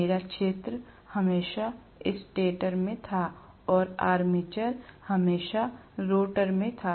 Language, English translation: Hindi, I was having field was always in the stator and armature was always in the rotor right